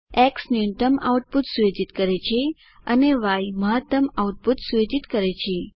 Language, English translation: Gujarati, X sets minimum output and Y sets maximum output